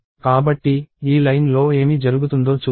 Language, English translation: Telugu, So, let us see what happens in this line